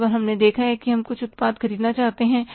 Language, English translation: Hindi, Many times we have seen that we want to buy a product